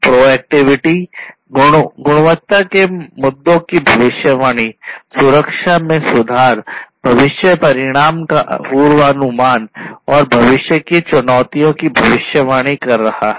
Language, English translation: Hindi, Proactivity predicting the quality issues, improving safety, forecasting the future outcomes, and predicting the future challenges